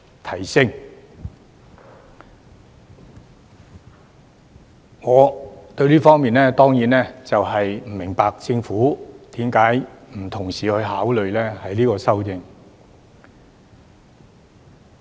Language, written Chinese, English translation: Cantonese, 就此，我當然不明白為何政府不同時考慮修訂最高款額上限。, In this connection of course I do not understand why the Government does not consider amending the ceiling at the same time